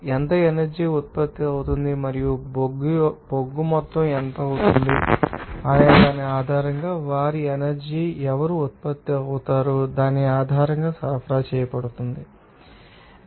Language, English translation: Telugu, How much energy will be produced and also what will be the amount of coal will be supplied based on who is what will be their energy will be produced that should be you know, known for that operation